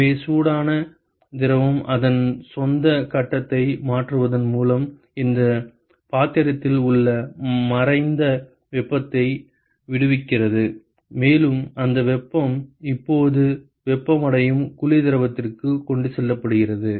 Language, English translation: Tamil, So, the hot fluid it liberates the latent heat with this vessel by changing its own phase, and that heat is now transported to the cold fluid which is being heated up